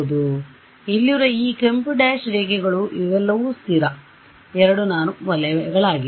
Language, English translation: Kannada, So, these red dash lines over here these are all circles of constant 2 norm right